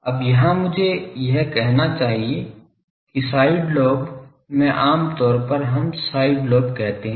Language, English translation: Hindi, Now, here I should say that , in side lobes generally we call side lobes